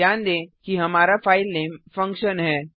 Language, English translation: Hindi, Note that our filename is function